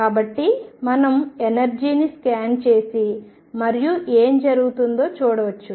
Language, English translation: Telugu, So, we can scan over the energy and see what happens